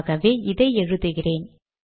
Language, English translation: Tamil, So I have this